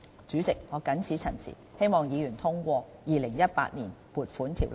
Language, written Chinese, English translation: Cantonese, 主席，我謹此陳辭，希望議員通過《2018年撥款條例草案》。, With these remarks President I hope Members will pass the Appropriation Bill 2018